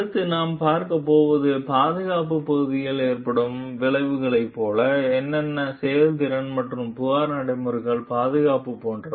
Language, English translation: Tamil, So, next what we are going to see like the consequence is the safety part like what is the effectiveness and the safety of the complaint procedures